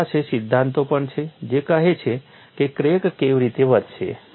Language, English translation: Gujarati, They also have theories that say how the crack will grow